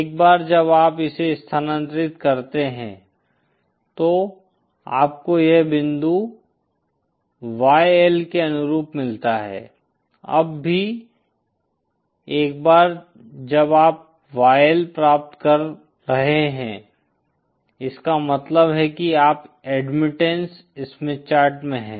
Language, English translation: Hindi, Once you shift it you get this point YL corresponding toÉ Now even now once you are getting Y L that means you are in the Admittan Smith Chart